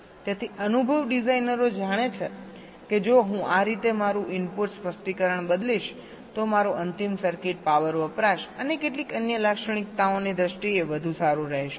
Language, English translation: Gujarati, so experience designers know that if i change my input specification in this way, my final circuit will be better in terms of power consumption and some other characteristics also